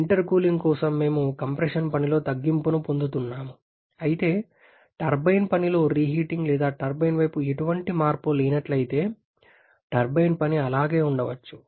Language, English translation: Telugu, For intercooling of course, we are getting a reduction in the compression work, while the turbine work may remain the same, if there is no reheating or no change in the turbine side